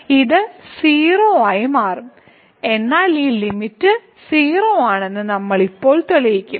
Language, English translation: Malayalam, So, this will become 0, but what we will prove now that this limit is 0